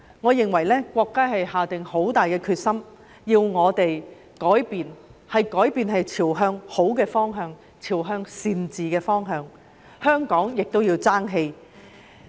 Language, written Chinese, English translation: Cantonese, 我認為國家下了很大決心，要我們改變，是朝向好的方向、朝向善治的方向改變，所以香港也要爭氣。, I think the country has taken the bull by the horns to make us change in a direction which will be good for us that is a change towards better governance . And so Hong Kong itself must also strive for excellence